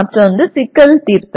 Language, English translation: Tamil, The other one is Problem Solving